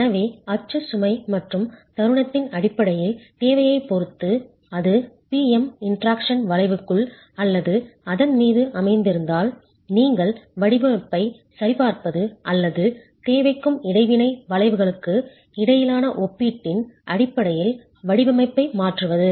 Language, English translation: Tamil, So, depending on the demand in terms of the axle load and moment, if it were to be lying within or on the PM interaction curve, you look at verifying the design or altering the design based on the comparison between demand and the interaction curves itself